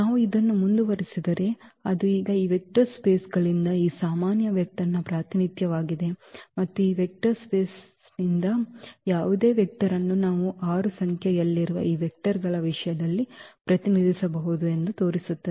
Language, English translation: Kannada, If we continue this so, that is the representation now of this general vector from this vector spaces and that shows that we can represent any vector from this vector space in terms of these given vectors which are 6 in number